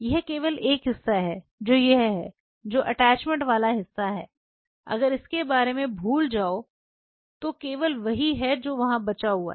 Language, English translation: Hindi, If you just look this is the only part which is this is the attachment part forget about it this is only what is left there